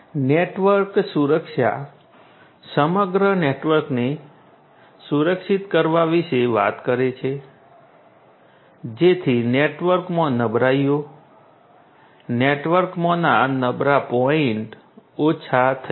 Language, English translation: Gujarati, Network security talks about securing the entire network so that the vulnerabilities in the network, the vulnerable points in the network are minimized